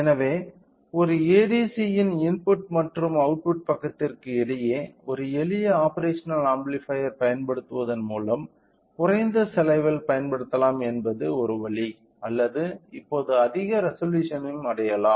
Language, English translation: Tamil, So, one way with a low cost by using a simple operational amplifier between the output and the input side of an ADC can utilise can utilise or can achieve higher resolution now